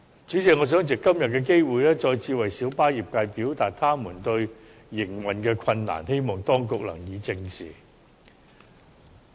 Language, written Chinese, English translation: Cantonese, 主席，我想藉着今天的機會，再次為小巴業界表達其面對的營運困難，希望當局正視。, President I would like to take the opportunity today to convey again the operational difficulties encountered by the minibus trade with the hope that the Administration will address the situation squarely